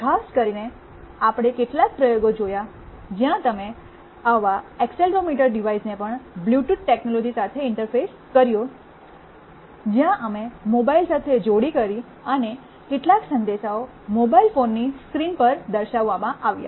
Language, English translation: Gujarati, In particular we looked at some experiments where you also interfaced such an accelerometer device with Bluetooth technology, where we paired with a mobile phone and some messages were displayed on the mobile phone screens